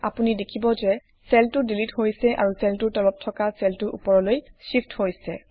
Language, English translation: Assamese, You see that the cell gets deleted and the cells below it shifts up